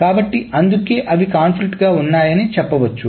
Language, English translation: Telugu, So that is why they are said to be conflicting